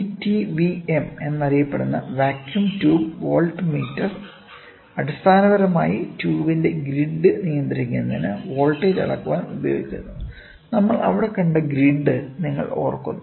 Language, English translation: Malayalam, The vacuum tube voltmeter; the vacuum tube voltmeter popularly known as VTVM is basically used to measure the voltage to control the grid of the tube; you remember the grid what we saw there